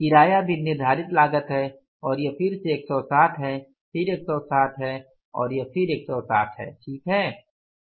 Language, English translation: Hindi, Rent is also the fixed cost and it is again 160 then it is 160 and then it is 160 fine